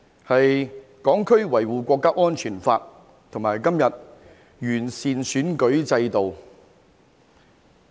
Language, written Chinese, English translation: Cantonese, 就是《香港國安法》和今天的完善選舉制度。, They are the Hong Kong National Security Law and the improvement to the electoral system that we are discussing today